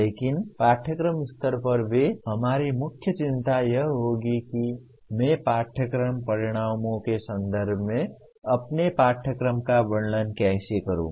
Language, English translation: Hindi, But even at course level, our main concern will be how do I describe my course in terms of course outcomes